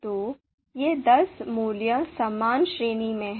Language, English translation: Hindi, So these ten values are in similar range